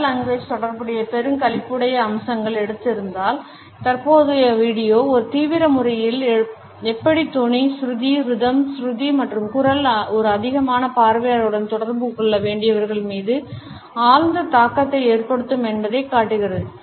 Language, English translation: Tamil, If the previous video had taken up the hilarious aspects related with paralanguage, the current video in a serious manner suggest how tone, pitch, rhythm, pitch and voice have profound impact on those people who have to communicate with a large audience